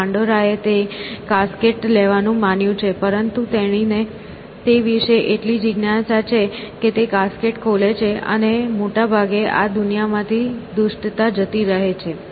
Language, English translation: Gujarati, And, Pandora is supposed to take that casket, but she is so curious about it that she opens the casket essentially; you know, and let lose the evils into this world mostly